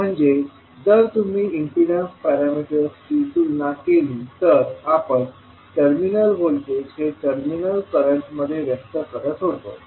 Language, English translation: Marathi, So, if you compare with the impedance parameter, where we are expressing the terminal voltages in terms of terminal currents